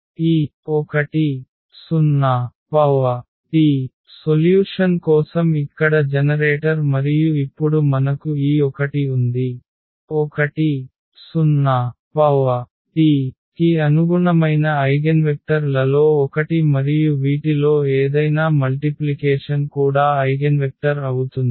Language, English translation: Telugu, So, this 1 0 is the is the generator here for the solution and now that is what we have this 1 0 is one of the eigenvectors corresponding to 1 and any multiple of this will be also the eigenvector